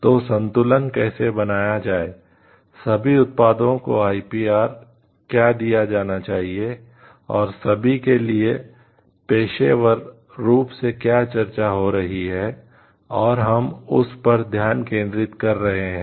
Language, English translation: Hindi, So, how to balance for this what all products should be given the IPR and all is a discussion ongoing discussion with pros and cons for each and we are focusing on that now